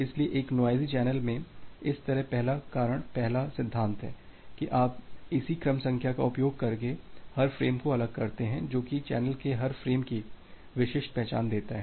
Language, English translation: Hindi, So, that way in a noisy channel, the first reason is the first principle is that you separate out every frame with by using the a corresponding sequence number which will be uniquely identify every frame in the channel